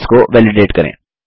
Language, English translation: Hindi, How to validate cells